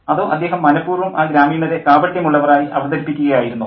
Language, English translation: Malayalam, Or was he deliberately making the villagers hypocritical